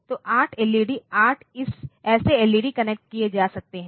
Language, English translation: Hindi, So, 8 LED, 8 such LEDs can be connected